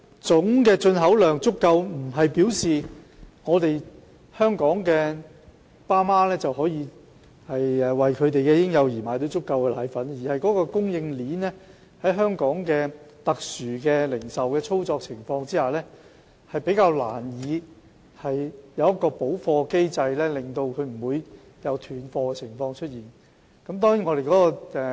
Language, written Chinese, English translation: Cantonese, 總進口量足夠不代表香港的父母能為嬰幼兒買到足夠的配方粉，而供應鏈在香港特殊的零售操作模式下，較難有完善的補貨機制，以杜絕斷貨情況。, A sufficient total import volume may not necessarily mean that all parents in Hong Kong can secure sufficient powdered formula for their infants and children . Under the unique operation mode of the retail supply chain in Hong Kong it is not easy to establish a prefect stock replenishment mechanism to prevent powdered formula running out of stock